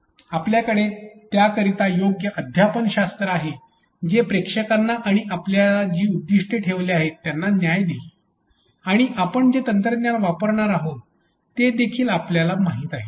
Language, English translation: Marathi, We have appropriate pedagogy for it which will do justice to the audience and the objectives that we have set in place and we also know the technology that we are going to use